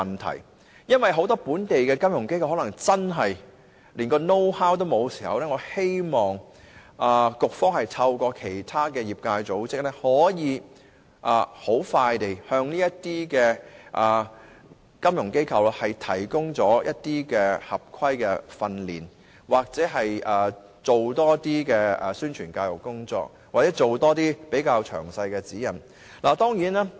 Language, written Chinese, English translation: Cantonese, 倘若很多本地金融機構真的連 "know how" 都沒有，我希望局方能透過其他業界組織，迅速地向金融機構提供合規格的訓練、同時多作宣傳教育，或發出詳細的指引。, If many local FIs really do not have the know - how I hope the Bureau will expeditiously provide relevant training through other industry organizations enhance publicity and education or issue detailed guidelines